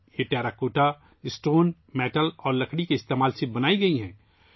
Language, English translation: Urdu, These have been made using Terracotta, Stone, Metal and Wood